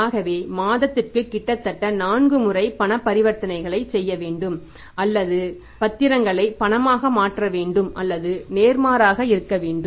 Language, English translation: Tamil, So, it means almost 4 times a month we have to effect the cash transactions or convert the securities into cash or vice versa